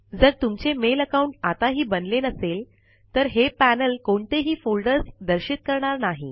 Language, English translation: Marathi, As we have not configured a mail account yet, this panel will not display any folders now